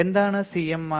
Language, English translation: Malayalam, What is CMRR